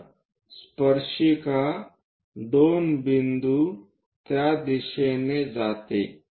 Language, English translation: Marathi, So, tangent through 2 point goes in that direction